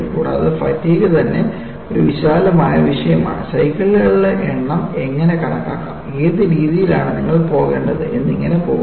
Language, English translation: Malayalam, And, there are ways, fatigue itself is a vast subject, there are ways how to count the number of cycles and what you have to go about, so on and so forth